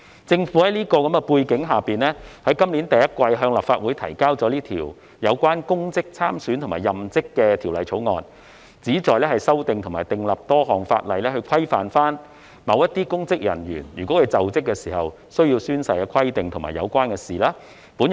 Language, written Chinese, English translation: Cantonese, 在此等背景下，政府於今年首季向立法會提交了這項《2021年公職條例草案》，旨在修訂多項法例，規範與某些公職人員在就職時須宣誓的規定有關的事宜。, Against this background the Government introduced the Public Offices Bill 2021 the Bill into the Legislative Council in the first quarter of this year to amend various ordinances thereby providing for matters relating to the requirements of oath - taking by certain public officers when assuming office